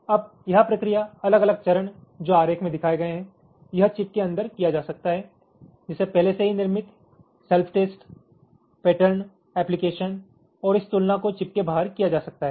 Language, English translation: Hindi, this process, the different steps that involved shown in diagram, this can be done inside the chip, like built in self test, the pattern application and this comparison can be done outside the chip